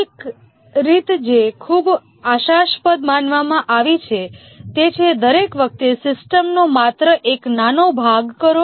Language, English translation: Gujarati, One way that has been considered very promising is that each time do only small part of the system